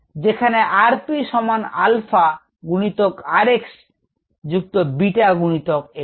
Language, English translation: Bengali, p equals alpha times, r x plus beta times x